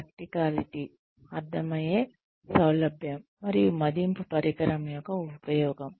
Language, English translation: Telugu, Practicality, ease of understandability, and use of appraisal instrument